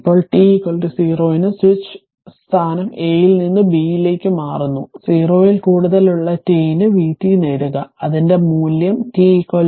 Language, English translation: Malayalam, Now, at t is equal to 0, the switch is your changing its position from A to B right, obtain v t for t greater than 0, and obtain its value at t is equal to 0